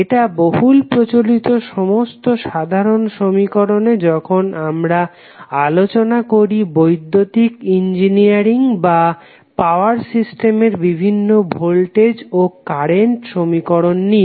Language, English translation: Bengali, It is mostly used in almost all common equations when we talk about the various voltage and current signals in the electrical engineering or in the power system area